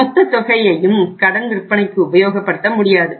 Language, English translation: Tamil, Your entire amount cannot use for supporting your credit sales